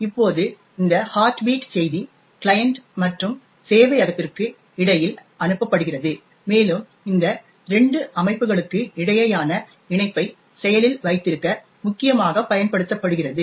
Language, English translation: Tamil, Now, this heartbeat message is sent between the client and the server and essentially used to keep the connection alive between these two systems